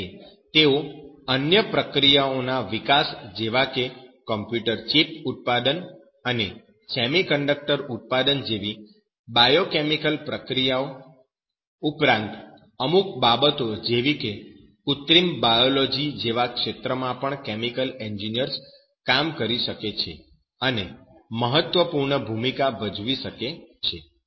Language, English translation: Gujarati, So, that is why this chemical engineer can work in a different way out of this chemical process, but he can work on other process development biochemical processes like computer chip production, semiconductor production, all those things even synthetic biology in that field also chemical engineers play an important role like synthetic